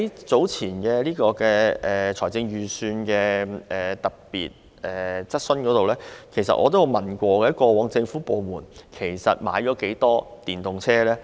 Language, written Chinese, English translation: Cantonese, 早前政府在財務委員會特別會議上就預算案接受議員質詢時，我曾提問，過往政府部門實際購買了多少輛電動車？, Earlier on when the Government was questioned by Members at the special meeting of the Finance Committee I enquired about the number of electric vehicles that government departments have actually purchased in the past